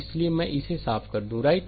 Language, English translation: Hindi, So, let me clear it , right